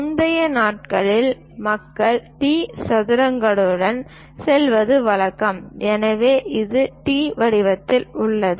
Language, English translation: Tamil, Earlier days, people used to go with T squares, so it is in the form of T